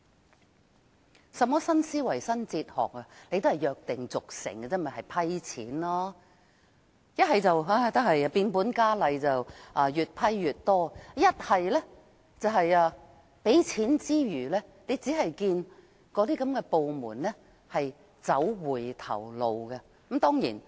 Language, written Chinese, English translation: Cantonese, 那有甚麼新思維、新哲學，不過是約定俗成，審批撥款而已，要不是變本加厲，越批越多，便是批出撥款後，只見有關部門走回頭路。, I do not see any new thinking or new philosophy but the approval of funding application as usual . We either see that the problems have aggravated and resulted in the approval of additional funding or that the relevant departments have backtracked after the funding applications have been approved